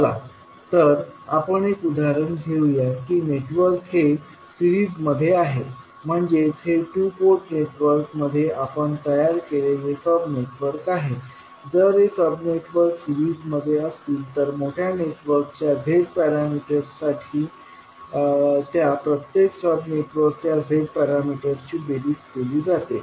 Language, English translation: Marathi, Let us take an example that suppose the network is in series means the two port networks these are whatever the sub networks we have created, if these sub networks are in series then their individual Z parameters add up to give the Z parameters of the large network